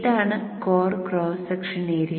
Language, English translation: Malayalam, This is the core cross section area